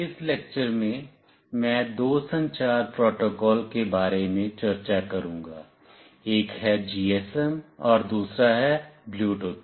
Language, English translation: Hindi, In this lecture, I will be discussing about two communication protocols, one is GSM and another is Bluetooth